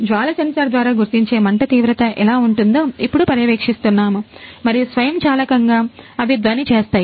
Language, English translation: Telugu, Now we are test the depth if there it is a flame which detect by the flame sensor and automatically they buzzer the sound